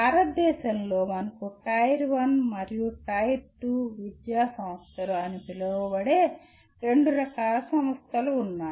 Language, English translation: Telugu, And in India you have two types of institutions which are called Tier 1 and Tier 2 institutions